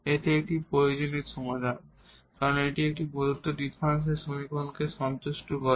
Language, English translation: Bengali, So, this is the solution this was satisfy this differential equation